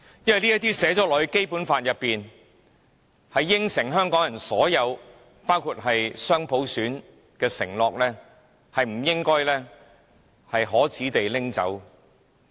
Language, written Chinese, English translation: Cantonese, 因為這些寫在《基本法》裏，應允香港人所有包括雙普選的承諾，是不應該可耻地被拿走的。, It is because all the stipulations written in the Basic Law including the pledges of giving Hong Kong people the dual universal suffrage should not be taken away in a shameful fashion